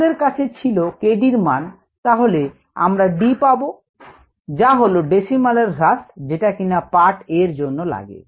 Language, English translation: Bengali, if we have k d, we can find out d, which is the decimal reduction time, which is what is you required in part a